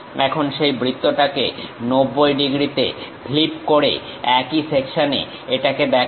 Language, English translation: Bengali, Now, flip that circle into 90 degrees on the same section show it